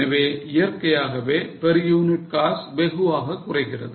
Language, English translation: Tamil, So, naturally the per unit cost is going to vary sharply